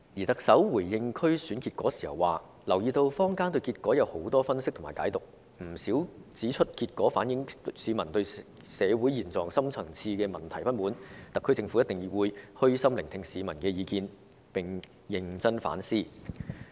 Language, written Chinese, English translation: Cantonese, 特首回應區選結果時表示，她留意到坊間有很多分析和解讀，不少人指出區選結果反映市民對社會現狀和深層次問題的不滿，特區政府一定會虛心聆聽市民的意見，並會認真反思。, In her response to the result of the DC Election the Chief Executive said that she had noticed many analyses and interpretations in the community that many people said the result of the DC Election was a reflection of the peoples dissatisfaction with the current situation of society and its deep - rooted problems and that surely the SAR Government would listen to the peoples opinions with an open mind and carry out introspection seriously